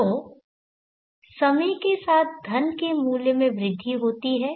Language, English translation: Hindi, Now with time the value of the money can grow